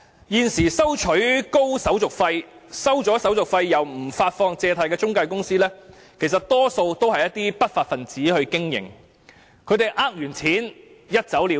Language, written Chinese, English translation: Cantonese, 現時收取高手續費、收取手續費後卻不發放借貸的中介公司，其實多數由不法分子經營，騙錢後便一走了之。, Currently most of the intermediaries charging high handling fees or withholding the loans after collecting such fees are actually managed by lawbreakers who will simply get away with it after defrauding people of their money